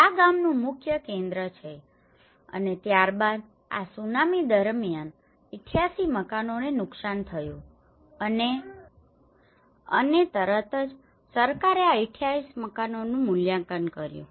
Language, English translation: Gujarati, And this is the main village centre and then 88 houses were damaged during this Tsunami and immediately the government have done the assessment of these 88 houses